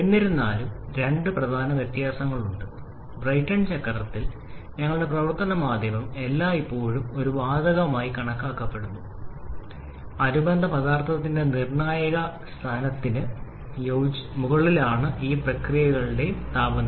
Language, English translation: Malayalam, However, there are two major difference one in case of Brayton cycle our working medium is gas that is for all the processes the temperature level remains well above the critical point of the corresponding substance